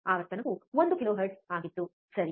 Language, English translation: Kannada, Frequency was one kilohertz, correct